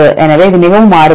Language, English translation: Tamil, So, it is more variable